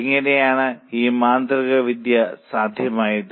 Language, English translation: Malayalam, How was this magic possible